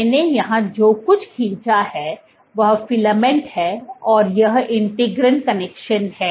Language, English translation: Hindi, What I have drawn here is the filament and this is the integrin connection